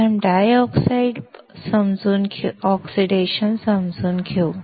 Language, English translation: Marathi, First, let us understand dry oxide